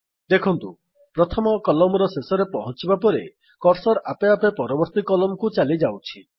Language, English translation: Odia, You see that the cursor automatically goes to the next column after it reaches the end of the first column